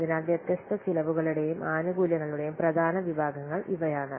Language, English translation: Malayalam, So these are the important categories of different cost and benefits